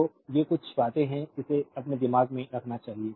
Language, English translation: Hindi, So, these are certain things you should keep it in your mind